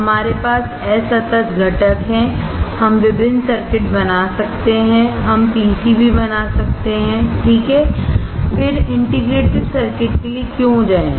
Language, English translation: Hindi, We have discrete components, we can make different circuits, we can make PCBs, right, then why to go for integrated circuit